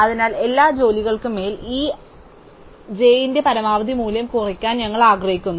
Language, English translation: Malayalam, So, we want to minimize the maximum value of this l j over all the jobs j